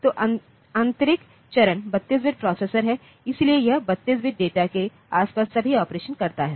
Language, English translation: Hindi, So, the internal phase is 32 processor, so it all the operations around 32 bit data